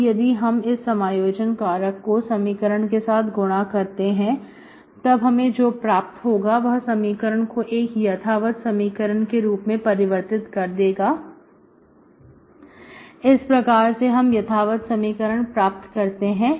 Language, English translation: Hindi, So if I multiply this integrating factor to the equation which is this, we can get, we can make the equation exact, that is how we make the equation exact